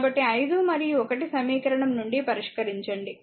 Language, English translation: Telugu, So, you solve from equation 5 and 1 we will get